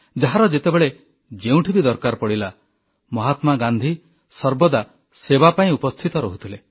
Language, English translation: Odia, Whoever, needed him, and wherever, Gandhiji was present to serve